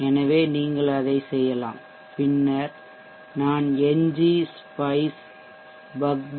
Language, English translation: Tamil, So you do that, and then I will use ngspice bugboost